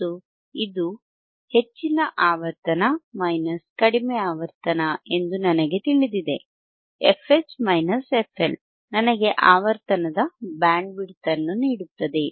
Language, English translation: Kannada, And I know this is high frequency , low frequency, f H minus f L will give me bandwidth, will give me bandwidth here band of of frequency, alright